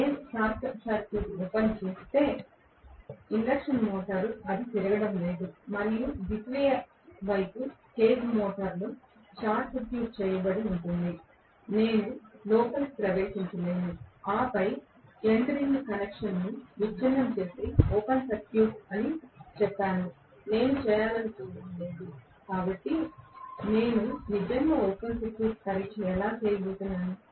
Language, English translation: Telugu, If I open circuit the induction motor it is not going to rotate and the secondary side is any way short circuited in a cage motor, I cannot get in and then break the end ring connection and say it is open circuited I do not want to do that, so how I am going to really do the open circuit test